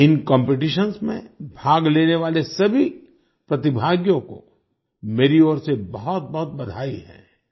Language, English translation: Hindi, Many many congratulations to all the participants in these competitions from my side